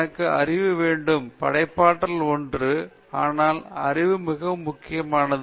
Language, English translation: Tamil, You should have knowledge; creativity is one, but knowledge is very important okay